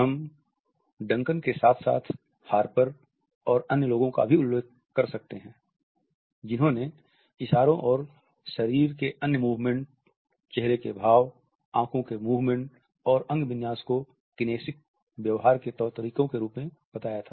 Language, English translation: Hindi, We can refer to Duncan as well as Harper and others and Knapp, who had enumerated gestures and other body movements, facial expressions, eye movements and postures as modalities of kinesic behavior